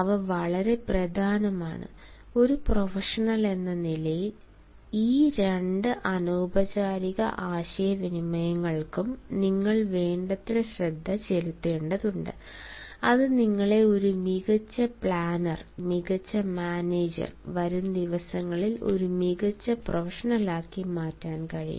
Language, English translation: Malayalam, they are very important and, as a professional, you have to pay adequate attention to these two nonverbal things which can alone make you a successful planner, a successful manager and a successful professional in the days to come